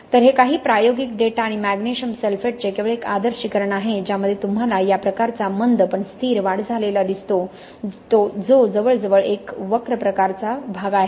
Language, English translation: Marathi, So this is just an idealization of some experimental data and magnesium sulphate you actually see this kind of a slow but steady rise of expansion which is almost a curve type behaviour, okay